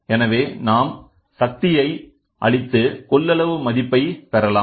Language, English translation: Tamil, So, here we apply a power and get this capacitance value